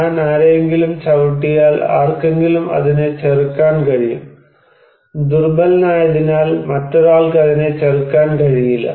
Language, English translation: Malayalam, If I kick someone, then somebody can resist it, somebody cannot resist it because he is weak